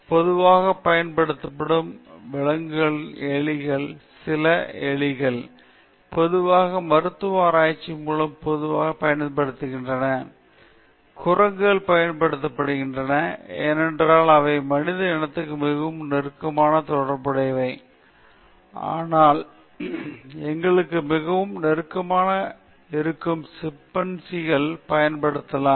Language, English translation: Tamil, See, for instance, for example, some of the animal which are very commonly used are mice, then rats are used very commonly by pharmaceutical research; monkeys are being used, because they are very close to the human species, but can we use chimpanzees which are very close to us